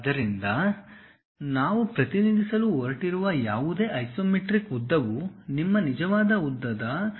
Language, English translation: Kannada, So, any isometric length whatever we are going to represent, that will be 0